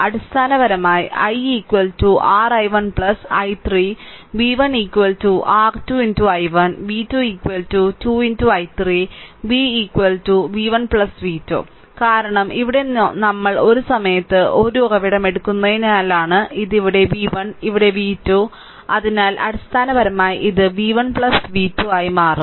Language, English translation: Malayalam, So, basically i is equal to your i 1 plus i 3 and v 1 is equal to your 2 into i 1 and v 2 is equal to 2 into i 3 and v is equal to v 1 plus v 2, because here it is because we are taking one source at a time here it is v 1 here it is v 2 so, basically it will become v 1 plus v 2 right So, before moving this; so in this case it is very easy to find out what is the i 1 current